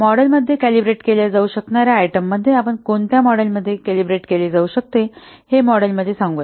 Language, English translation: Marathi, Items that can be calibrated in a model include, let's see in a model what items can be calibrated